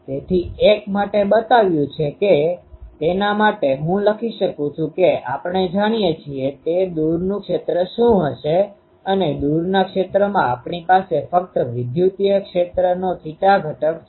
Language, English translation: Gujarati, So, for the one shown that these elemental one I can write what will be the far field we know, that in the far field we have only theta component of the electric field